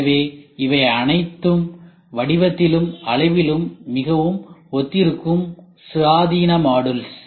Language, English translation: Tamil, So, these are all independent modules which are very similar in shape and size